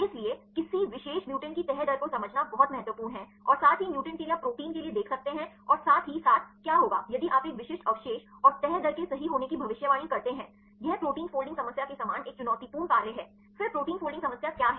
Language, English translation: Hindi, So, it is very important to understand the folding rate of any particular mutants as well as for the mutants right you can see for proteins as well as what will happen if you mutate a specific residue and the predicting the folding rate right; it is also a challenging task similar to protein folding problem, then what is protein folding problem